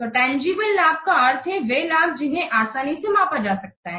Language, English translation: Hindi, So tangible benefits means these are the benefits which can be easily measured or quantified